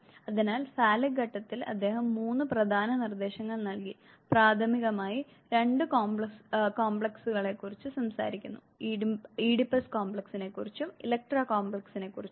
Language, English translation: Malayalam, So, in the Phallic stage he gave three important propositions, primarily, talking about 2 complexes the Oedipus complex and the electra complex